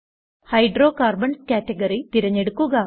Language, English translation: Malayalam, Select Hydrocarbons category